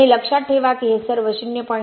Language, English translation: Marathi, 1 I think it will be 0